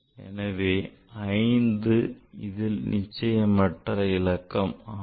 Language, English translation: Tamil, So, that means 5 is doubtful digit